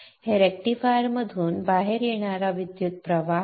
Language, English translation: Marathi, This is the current coming out of the rectifier